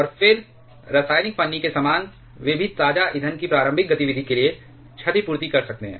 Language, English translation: Hindi, And then similar to the chemical shim they can also compensate for the initial activity of fresh fuel